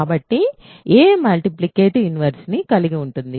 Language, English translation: Telugu, So, a has a multiplicative inverse